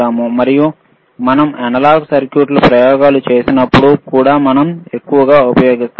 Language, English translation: Telugu, And that also we we heavily use when we do the analog circuits experiments